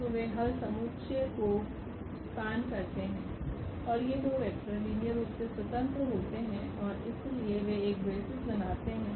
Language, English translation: Hindi, So, they span the solution set and these two vectors are linearly independent and therefore, they form a basis